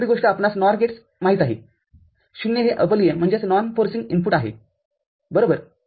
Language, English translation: Marathi, The other thing for NOR gate we know, 0 is the non forcing input right